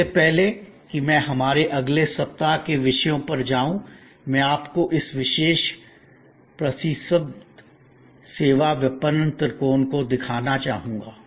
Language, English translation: Hindi, Before I move to our next week’s topics as a key understanding of this week I would like you to look at this particular famous services marketing triangle